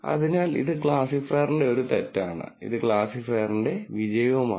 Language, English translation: Malayalam, So, this is a mistake of the classifier and this is a success of the classifier